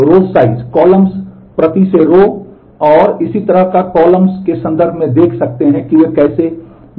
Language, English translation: Hindi, So, you can see in terms of maximum row size, columns per row and so on and so forth, how do they differ